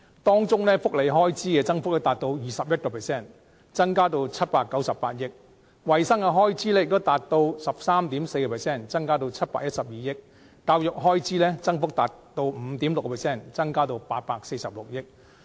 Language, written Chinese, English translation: Cantonese, 當中，福利開支增幅達 21%， 增加至798億元；衞生開支的增幅亦達 13.4%， 增加至712億元；教育開支的增幅達 5.6%， 增加至846億元。, Under the recurrent expenditure welfare expenditure is increased by 21 % to 79.8 billion; health care expenditure is increased by 13.4 % to 71.2 billion; and education expenditure is increased by 5.6 % to 84.6 billion